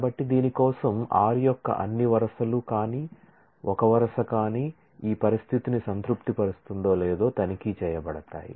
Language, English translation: Telugu, So, if for this all rows of r will be checked if a row will satisfy this condition